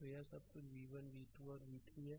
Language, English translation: Hindi, So, this is actually v by 4